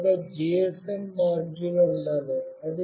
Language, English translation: Telugu, You should have a GSM module with you